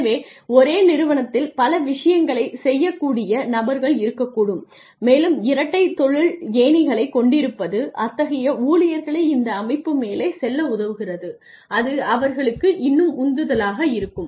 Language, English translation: Tamil, So, there could be people who could do several things at the same time and having dual career ladders would help such employees go up in the system and still feel motivated